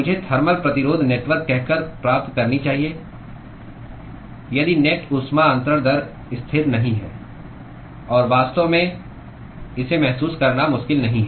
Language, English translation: Hindi, I should qualify by saying thermal resistance network if the net heat transfer rate is not constant; and in fact, it is not difficult to realize this